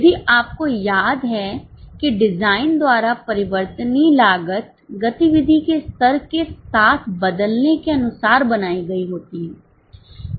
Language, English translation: Hindi, If you remember variable cost by design is intended to change with the level of activity